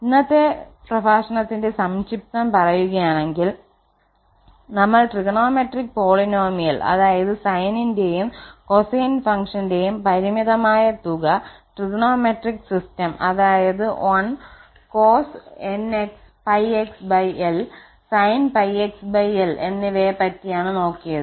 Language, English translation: Malayalam, And just to conclude, so we have basically discussed that trigonometric polynomial today which is this finite sum of the cos and the sine function, and we have also discussed that trigonometric system which is 1 cos pi x, sin pi x over l, and so on